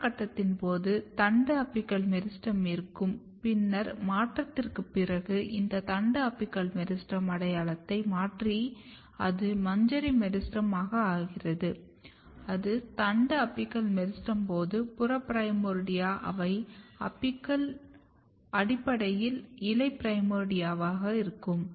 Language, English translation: Tamil, So, during vegetative phase you have shoot apical meristem then after transition this shoot apical meristem changes the identity and it becomes inflorescence meristem; when it was shoot apical meristem then the peripheral primordia they were basically leaf primordia